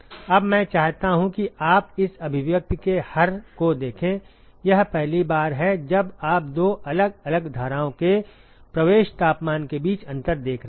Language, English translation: Hindi, Now I would like you to stare at the denominator of this expression here this is the first time you are seeing a difference between the inlet temperatures of two different streams ok